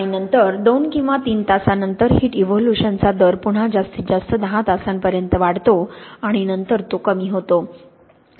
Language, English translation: Marathi, And then after two or three hours the rate of heat evolution starts to increase again to a maximum at about ten hours and then it decreases